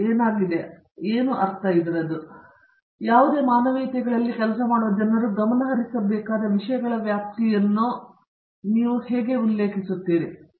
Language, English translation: Kannada, Where I mean, what are the set of topics that you feel encompass the range of things that people working in humanities focus on, as supposed to any other